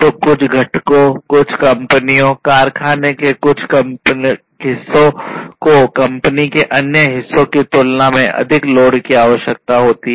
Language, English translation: Hindi, So, certain components, certain companies certain parts of the factory will require more load compared to the other parts of the company